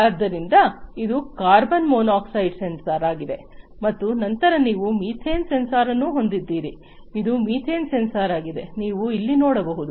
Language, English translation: Kannada, So, this is the carbon monoxide sensor and then you have the methane sensor, this is the methane sensor, as you can see over here